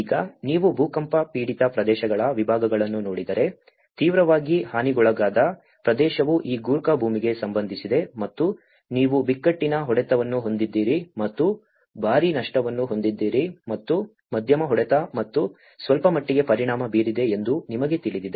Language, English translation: Kannada, Now, if you look at the categories of earthquake affected areas, the severely hit region is about this Gorkha land and you have the crisis hit and as well as a hit with heavy losses and the moderately hit and very slightly affected you know